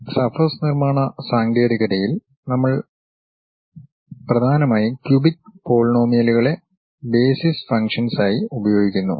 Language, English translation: Malayalam, In all these surface construction techniques, we mainly use cubic polynomials as the basis functions